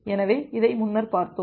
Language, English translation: Tamil, So, we looked into this earlier